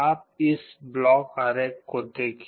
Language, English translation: Hindi, You look at this block diagram